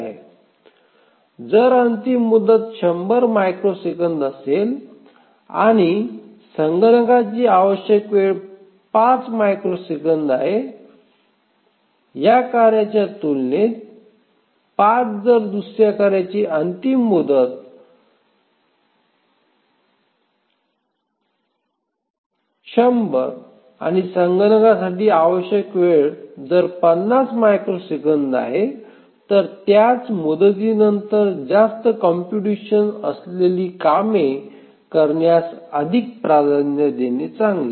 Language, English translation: Marathi, If the deadline is 100 microseconds and the computation time required is 5 microsecond compared to another task whose deadline is 100 microsecond but the computation time required is 50 microseconds, then it may be better to give higher priority to the task having more computation left over the same deadline